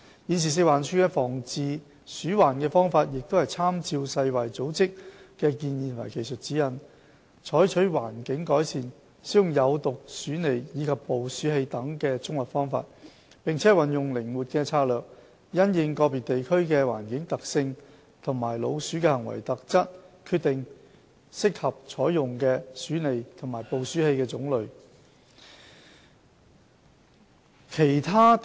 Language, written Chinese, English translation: Cantonese, 現時食環署的防治鼠患方法是參照世界衞生組織的建議及技術指引，採取環境改善、使用有毒鼠餌及捕鼠器等的綜合方法，並運用靈活的策略，因應個別地區的環境特性和老鼠的行為特質，決定適合採用的鼠餌和捕鼠器的種類。, The current integrated approach adopted by FEHD in rodent prevention and control by improving environmental hygiene poisonous baiting and trapping are derived based on the recommendations and technical guidelines of the World Health Organization . Strategic deployment of poisonous baiting and trapping operations would be adjusted in accordance with the environmental condition of individual districts and behavioural characteristics of rodents